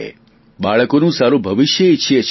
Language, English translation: Gujarati, We all want a good future for our children